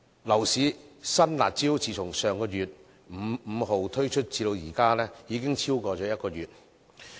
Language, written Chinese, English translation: Cantonese, 樓市新"辣招"自從上月5日推出至今，已經超過1個月。, It has been more than one month since the introduction of a new curb measure on the 5 of last month